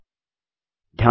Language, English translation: Hindi, Select Enter Group